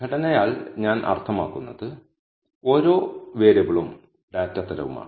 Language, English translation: Malayalam, By structure I mean that each variable and it is data type